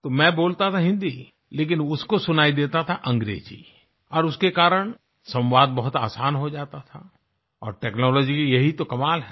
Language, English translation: Hindi, So I used to speak in Hindi but he heard it in English and because of that the communication became very easy and this is an amazing aspect about technology